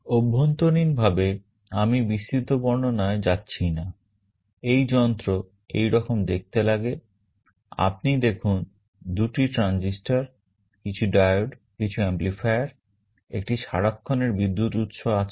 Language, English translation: Bengali, Internally I am not going into the detail explanation, this device looks like this, you see there are two transistors, some diodes, there are some amplifiers, there is a constant current source